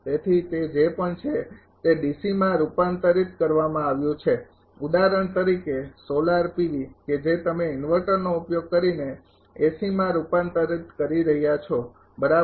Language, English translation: Gujarati, So, whatever it is it has been converted to even in DC also for example, solar PV that you are converting by using inverter through the AC thing right